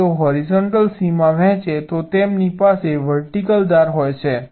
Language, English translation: Gujarati, two blocks have a horizontal edge if they share a vertical boundary